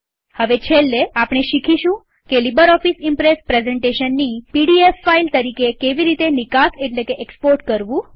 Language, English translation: Gujarati, Finally we will now learn how to export a LibreOffice Impress presentation as a PDF file